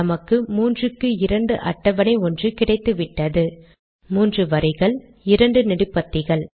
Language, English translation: Tamil, We get the 3 by 2 table, there are three rows and 2 columns